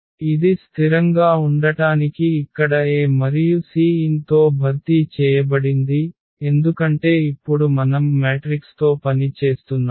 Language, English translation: Telugu, So, it is just the lambda is replaced by this A here and with the c n to make it consistent because, now we are working with the matrices